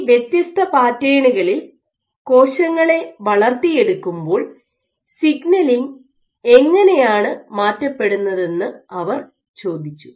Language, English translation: Malayalam, So, they asked how do signaling altered when cells are cultured on these different patterns ok